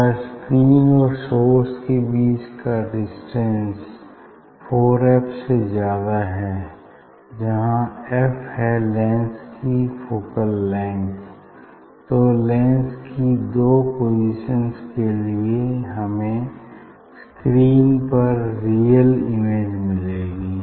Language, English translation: Hindi, Now, if screen and the source distance is greater than 4 f of this focal length of this lens, then you know that for two position; for two position of the lens we will see the we will see the image real image on the screen